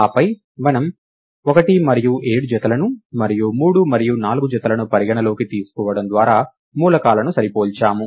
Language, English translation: Telugu, Then we compare the elements, by considering the pairs 1 and 7, and the pair 3 and 4